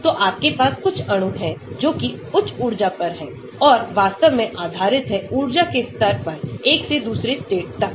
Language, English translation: Hindi, so you may have some molecules at slightly higher energy and so on actually depending upon the difference in the energy levels from one state to another